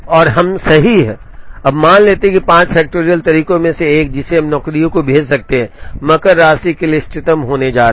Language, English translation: Hindi, And we right, now assume that one of the 5 factorial ways, by which we can send the jobs is going to be optimal, for the Makespan